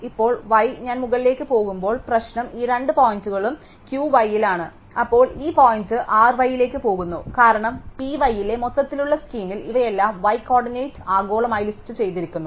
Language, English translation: Malayalam, Now, y the problem is as I am going up these two points are in Q y, then this point goes into R y because in the overall scheme of things in P y, these are all listed globally by y coordinate